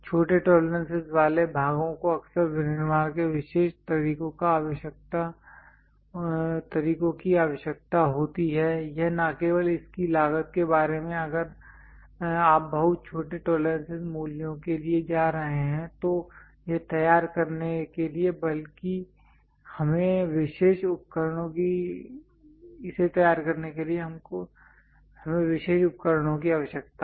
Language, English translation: Hindi, Parts with smaller tolerances often require special methods of manufacturing, its not only about cost if you are going for very small tolerance values to prepare that itself we require special equipment